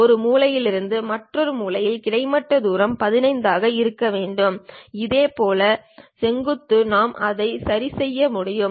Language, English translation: Tamil, From one of the corner to other corner, the horizontal distance supposed to be 15; similarly, vertical also we can adjust it